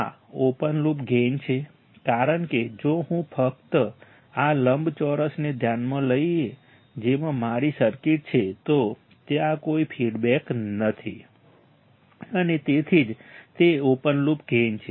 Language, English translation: Gujarati, This is the open loop gain because if I just consider this square right rectangle in which my circuit is there then there is no feedback and that is why it is an open loop gain